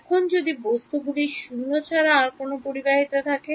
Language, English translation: Bengali, Now, what if my material also has non zero conductivity